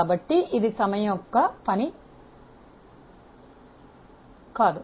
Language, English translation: Telugu, So, it cannot be a function of time